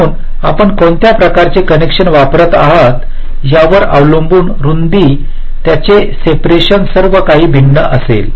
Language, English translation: Marathi, so depending on which layer your using, the kind of connection there, width, their separation, everything will be different